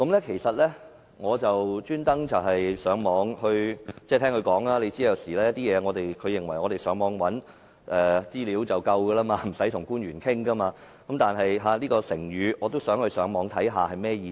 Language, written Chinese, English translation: Cantonese, 其實，我特意上網找尋——因為據她所說，她認為我們上網尋找資料便已足夠，無需與官員溝通——但對於這個成語，我也想上網查究一下其意思。, She said we are using our utmost endeavours . In fact I made it a point to search online the meaning of this expression because according to her obtaining information online is enough for us we do not need to communicate with public officers